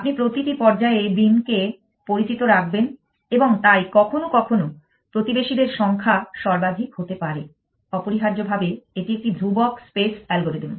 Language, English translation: Bengali, You are going to keep beam known at every stage alive and so times number of neighbors is a maximum have to deal with essentially that is a constant space algorithm